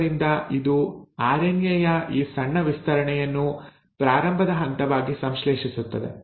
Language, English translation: Kannada, So it synthesises this small stretch of RNA as a starting point